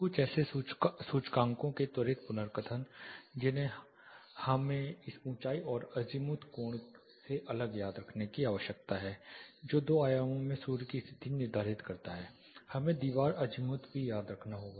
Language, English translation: Hindi, (Refer Slide Time: 01:02) Quick recap of some of the indices that we need to remember apart from this altitude and azimuth angle which determines the position of sun in two dimensions, we also need to remember something called wall azimuth